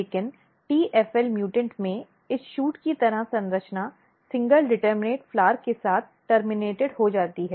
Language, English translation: Hindi, But here if you look the tfl mutant what is happening that this shoot like structure get terminated with a single determinate flower